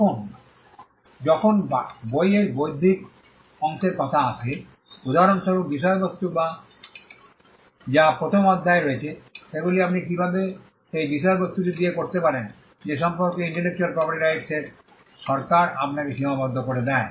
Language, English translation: Bengali, But when it comes to the intellectual part of the book, for instance, content that is in chapter one there are limitations put upon you by the intellectual property rights regime as to what you can do with that content